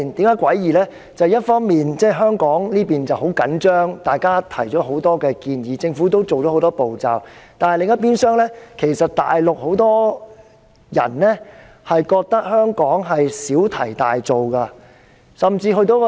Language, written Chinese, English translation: Cantonese, 因為一邊廂，香港十分緊張，大家提出了很多建議，而政府亦採取了很多步驟，但另一邊廂，其實大陸有很多人認為香港小題大做。, Because on the one hand Hong Kong is very tense . We have made many suggestions and the Government has taken many steps . On the other hand however many people on the Mainland actually hold that Hong Kong is making a fuss over a trifle